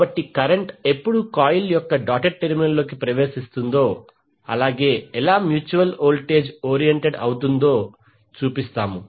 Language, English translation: Telugu, So we show when the current enters the doted terminal of the coil how the mutual voltage would be oriented